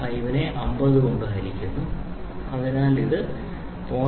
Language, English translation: Malayalam, 5 divided by 50 so which is nothing but 0